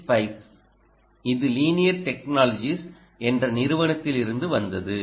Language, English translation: Tamil, ok, this is from ah, a company called linear technologies technology